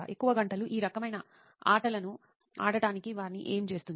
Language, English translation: Telugu, What makes them play these kind of games for long hours